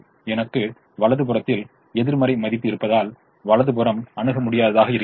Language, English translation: Tamil, the right hand sides are infeasible because i have a negative value on the right hand side